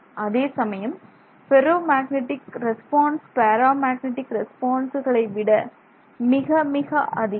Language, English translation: Tamil, But on the other hand the ferromagnetic response is much much greater than paramagnetic response